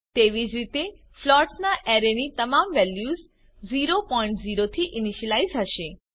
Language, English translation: Gujarati, Similarly an array of floats will have all its values initialized to 0.0